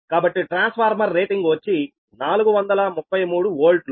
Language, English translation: Telugu, so you, the transformer is forty thirty three volt rating